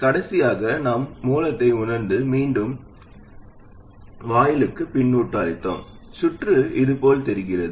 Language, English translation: Tamil, And lastly, we sensed at the source and fed back to the gate and the circuit that we took